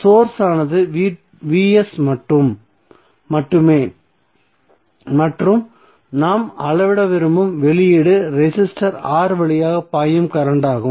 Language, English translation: Tamil, So the source is only Vs and the output which we want to measure is current flowing through resistor R